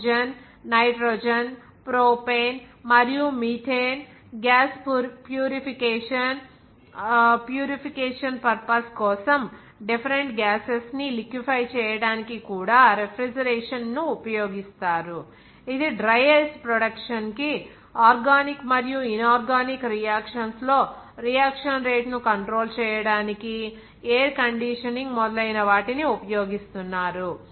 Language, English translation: Telugu, Even refrigeration is also used to liquefy different gases like oxygen, nitrogen, propane and methane, gas purification purposes, Even it is being used for the production of dry ice, for the controlling reaction rate in organic and inorganic reactions, air conditioning etc